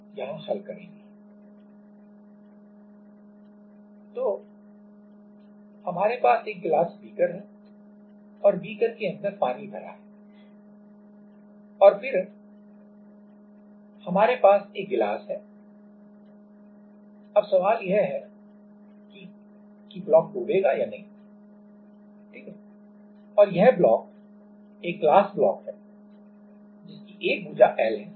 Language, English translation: Hindi, So, we have a glass beaker and inside the beaker we have water and then we have a glass block, now the question is whether the block will sink or not, right and this block this is glass block of side L